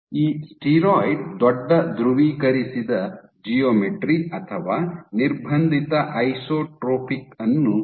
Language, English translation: Kannada, So, this steroid has large polarized geometry or constrained isotropic